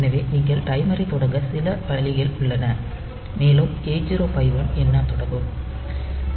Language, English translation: Tamil, So, then we there some way by which you can start the timer and 8051 will count up